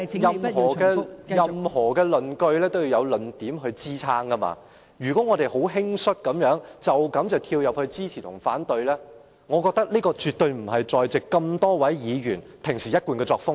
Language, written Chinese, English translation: Cantonese, 代理主席，任何論據也需要有論點支撐，如果我們十分輕率地斷言支持或反對，我認為這絕對不是在席多位議員的一貫作風。, Deputy President every argument has to be backed by reasons . If we hastily jump to the conclusion of support or opposition I would say this is definitely not the usual practice of the many Members present